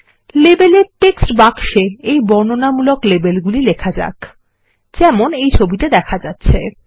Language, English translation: Bengali, Let us type the following descriptive labels in the label text boxes as shown in the image